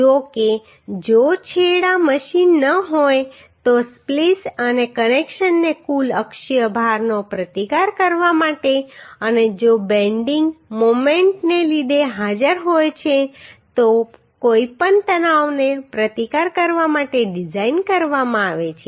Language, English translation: Gujarati, However if the ends are not machined then the splice and connections are to design to resist the total axial load and any tension if present due to the bending moment